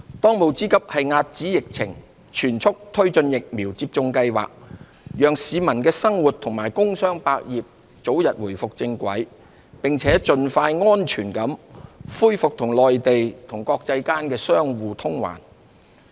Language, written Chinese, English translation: Cantonese, 當務之急是遏止疫情，全速推進疫苗接種計劃，讓市民生活和工商百業早日重回正軌，並盡快安全地恢復與內地及國際間的相互往還。, Our most urgent task is to contain the epidemic and press ahead with the vaccination programme so that people and businesses can be back on track and safe travelling between Hong Kong and the Mainland as well as the rest of the world can be resumed as soon as possible